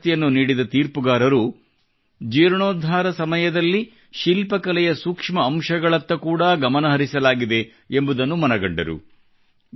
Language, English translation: Kannada, The jury that gave away the award found that during the restoration, the fine details of the art and architecture were given special care